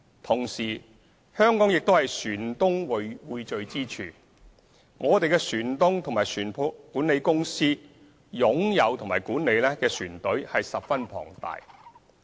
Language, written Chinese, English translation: Cantonese, 同時，香港是船東匯聚之處，我們的船東和船舶管理公司擁有及管理的船隊十分龐大。, Hong Kong is at the same time a gathering place for shipowners and the shipowners and maritime management companies owned and managed enormous fleets